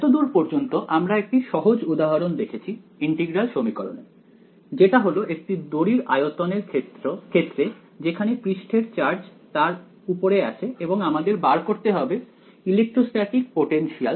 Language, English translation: Bengali, So far, we have seen one simple example of integral equations which is the, volume at the wire with the charge surface charge on it and we wanted to find out the electrostatic potential